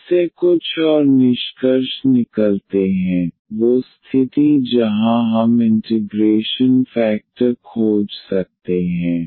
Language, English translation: Hindi, There are some more findings from that that those that condition where we can find the integrating factor